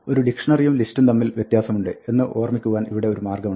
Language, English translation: Malayalam, Here is a way of remembering that a dictionary is different from the list